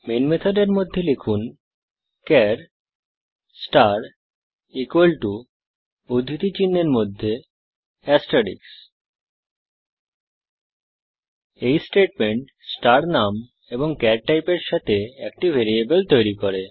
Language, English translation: Bengali, Inside the main method, type char star equal to in single quotes asrteicks This statement creates a variable with name star and of the type char